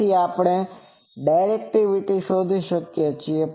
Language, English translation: Gujarati, So, we can find directivity